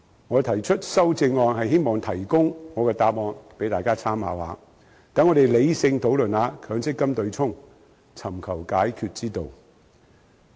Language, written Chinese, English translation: Cantonese, 我提出修正案是希望提供我的答案給大家參考，讓大家理性討論強制性公積金對沖機制，尋求解決之道。, In proposing my amendment I hope to provide my answer for Members reference so as to enable Members to have a rational discussion on the Mandatory Provident Fund MPF offsetting mechanism in search of a solution